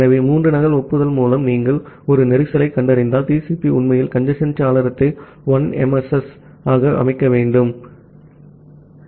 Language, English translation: Tamil, So, once you are detecting a congestion through 3 duplicate acknowledgement, do TCP really need to set congestion window to 1 MSS